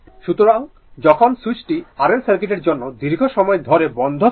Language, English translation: Bengali, So, when switch is closed for a long time for R L circuit, right